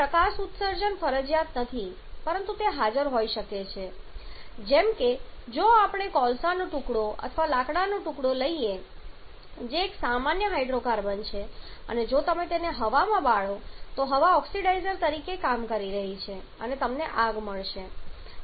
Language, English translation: Gujarati, Now light emission is not compulsory but it can be present like if we take a piece of coal air or a piece of wood which is a common hydrocarbon and if you burn it in air then the air is acting as the oxidizer and you will find that the fire has come up which is nothing but this manifestation of this light and heat